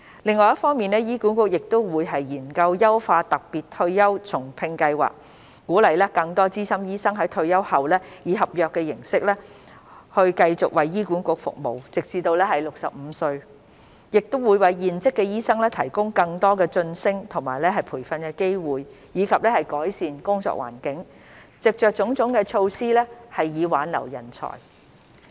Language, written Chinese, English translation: Cantonese, 另一方面，醫管局會研究優化特別退休後重聘計劃，鼓勵更多資深醫生在退休後以合約形式繼續為醫管局服務直至65歲，亦會為現職醫生提供更多晉升及培訓機會，以及改善工作環境，藉着種種措施挽留人才。, On the other hand HA will explore the enhancement of the Special Retired and Rehire Scheme with a view to encouraging more experienced doctors to continue serving in HA on contract terms upon retirement until the age of 65 . It will also provide serving doctors with more promotion and training opportunities as well as an improved working environment so as to retain talents through various measures